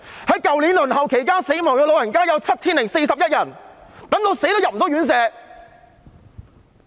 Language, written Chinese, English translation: Cantonese, 去年在輪候期間去世的長者有 7,041 人，等到死也入不了院舍。, Last year 7 041 elderly persons passed away while waiting unable to get a place at residential care homes the moment they died